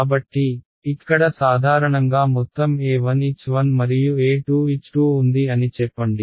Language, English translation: Telugu, So, there is a sum normal over here let us say E 1 H 1 and E 2 H 2